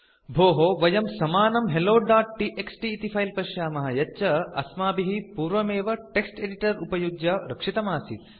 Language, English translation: Sanskrit, Hey we can see that the same hello.txt file what we saved from text editor is here